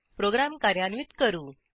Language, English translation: Marathi, Let us execute our program